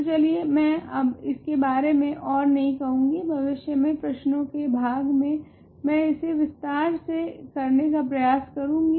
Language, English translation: Hindi, So, let me not say anything more about this, in a future problem session I will try to do this in details